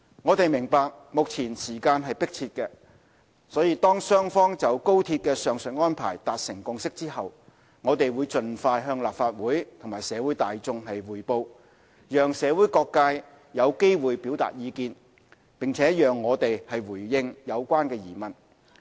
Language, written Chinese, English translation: Cantonese, 我們明白，目前時間迫切，當雙方就高鐵的上述安排達成共識後，我們會盡快向立法會和社會大眾匯報，讓社會各界有機會表達意見，並讓我們回應有關疑問。, We appreciate that time is running short . When both sides have reached a consensus regarding the aforementioned arrangements for the XRL we will report to the Legislative Council and the public as soon as possible allow all walks of society a chance to express their views and the Government to answer any queries